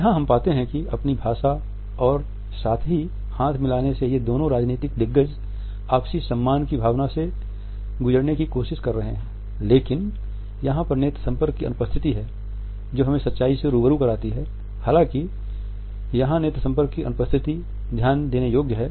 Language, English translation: Hindi, Here we find that with the help of their language as well as with the help of the handshake these two political giants are trying to pass on a sense of mutual respect, but it is the absence of eye contact which gives us the truth of the pitch; however, it is the absence of the eye contact which is noticeable